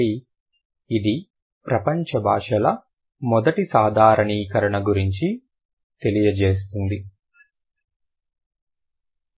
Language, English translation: Telugu, So, that is about the first generalization of world's languages